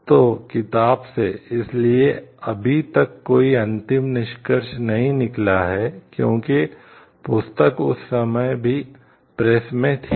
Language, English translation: Hindi, So, from the book; so, it does not have the conclusion about it, because by that time this book was still in press